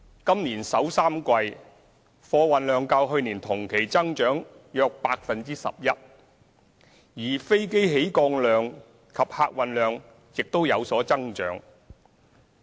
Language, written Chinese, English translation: Cantonese, 今年首三季，貨運量較去年同期增長約 11%， 而飛機起降量及客運量亦有增長。, In the first three quarters of this year freight volume has increased by about 11 % over the same period last year while flight movements and passenger throughput have also increased